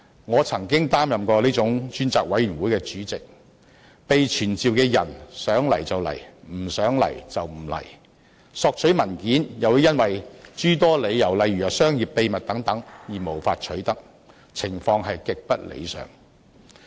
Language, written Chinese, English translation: Cantonese, 我曾經擔任這種專責委員會的主席，被傳召的人想來便來，不想來便不來；索取文件又會因商業秘密等諸多理由而無法取得，情況極不理想。, I have been the Chairman of such kind of select committee . People who were summoned could choose whether or not to attend hearings and the committee could not obtain the documents required for reasons that they contained commercial secrets etc . The situation was far from satisfactory